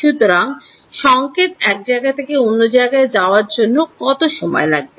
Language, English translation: Bengali, So, what is the time required for the signal to go